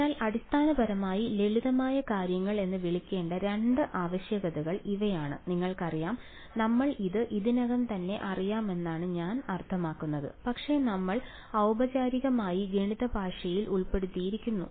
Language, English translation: Malayalam, So, these are the two requirements to be called a basis fairly simple stuff, you know I mean we already sort of know this, but we are just formally put into the language of math